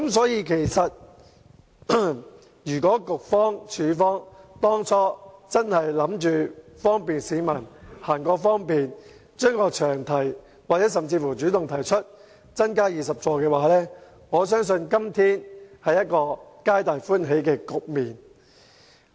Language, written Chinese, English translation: Cantonese, 因此，如果局長、署方當初真的是希望為市民提供方便，並修改詳題甚至主動提出把座位增加至20個，我相信今天將會出現一個皆大歡喜的局面。, Hence if the Secretary and the Transport Department really wished to bring convenience to the people in the first place they should have amended the long title of the Bill or should have even taken the initiative to propose increasing the seating capacity to 20 . Had such actions been taken I believe everybody will be happy today